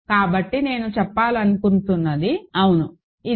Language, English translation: Telugu, So, what I wanted to say was, yeah so, this is alright